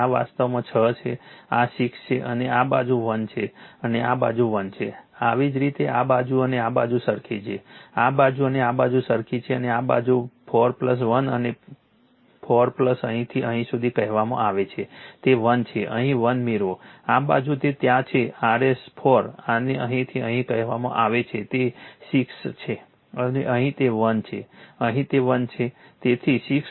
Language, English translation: Gujarati, this is actually 6, this is 6 right and this side is 1 and this side is 1, this similarly this side and this side identical right, this side and this side identical and this side 4 plus 1 and your 4 plus your what to call from here to here, it is 1 you get here 1 right, this side it is there yours 4 your what you call this from here to here it is 6 and here it is 1, here it is 1 right